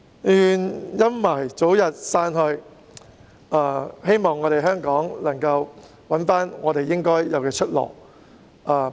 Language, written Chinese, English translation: Cantonese, 願陰霾早日散去，希望香港能夠找回應有的出路。, I hope the shadows will fade away as soon as possible and Hong Kong can find a way out one which it ought to head for